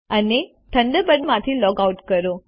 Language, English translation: Gujarati, Finally, log out of Thunderbird